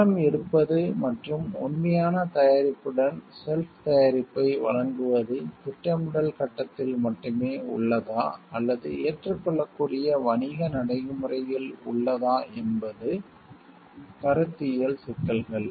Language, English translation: Tamil, The conceptual issues involved whether bidding provide and off the shelf product with the actual product is only in the planning stage is lying or is an acceptable business practice